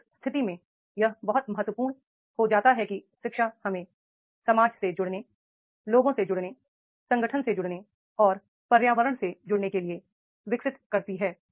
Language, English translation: Hindi, So, therefore in that case it becomes very, very important that is the education develops us to connect, connect with the society, connect with the people, connect with the organization, connect with the environment, right